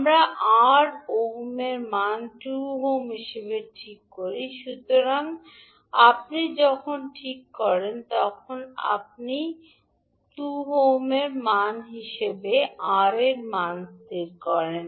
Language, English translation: Bengali, So we fix the value of R as 2 ohm, so when you fix, when you fix the value of R as 2 ohm